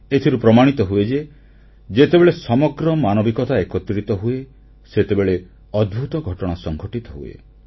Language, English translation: Odia, This proves that when humanity stands together, it creates wonders